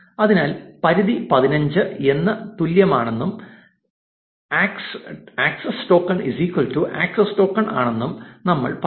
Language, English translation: Malayalam, So, we will say limit is equal to say 15 and access token is equal to access token